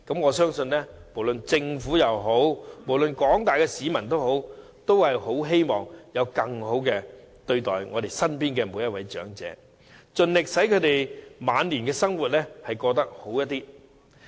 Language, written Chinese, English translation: Cantonese, 我相信，不論是政府或廣大市民皆希望身邊長者獲得更好待遇，盡力使他們的晚年生活過得更好。, I believe the Government and the general public all wish to see better treatment for our elderly people and give them a better life in their final years as far as possible